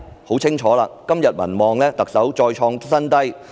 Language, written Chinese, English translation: Cantonese, 很清楚，特首的民望再創新低。, Clearly the Chief Executives popularity rating has hit a record low again